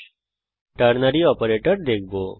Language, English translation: Bengali, Now we shall look at the ternary operator